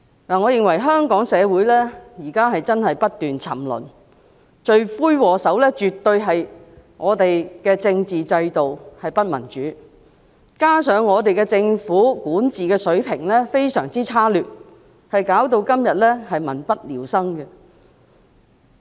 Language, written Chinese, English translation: Cantonese, 我認為香港社會現時真的不斷沉淪，而罪魁禍首絕對是我們的政治制度不民主，加上政府的管治水平非常差劣，以致今天民不聊生。, I think the undemocratic constitutional system is the culprit for causing the incessant degradation of Hong Kong society at present and coupled with the very low governance level of the Government people are now living in misery